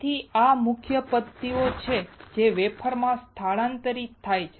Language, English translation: Gujarati, So, these are master patterns which are transferred to the wafers